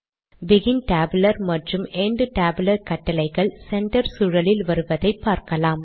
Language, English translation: Tamil, You can see the begin tabular and end tabular commands coming within center environments